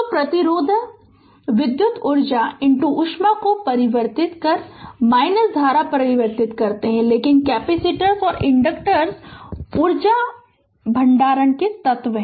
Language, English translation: Hindi, So, resistors convert your current your convert electrical energy into heat, but capacitors and inductors are energy storage elements right